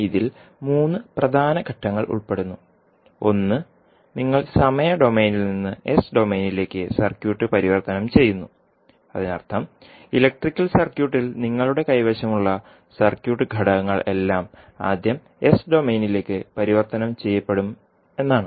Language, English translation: Malayalam, It actually involves three major steps, one is that you transform the circuit from time domain to the s domain, it means that whatever the circuit elements you have in the electrical circuit all will be first transformed into s domain